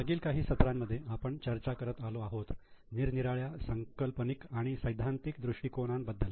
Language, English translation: Marathi, Namaste In last few sessions we have been discussing about various conceptual and theoretical aspects